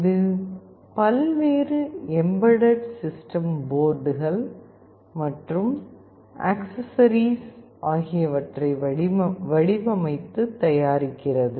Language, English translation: Tamil, It designs and manufactures various embedded system boards and accessories